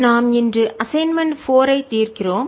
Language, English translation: Tamil, We'll be solving assignment four today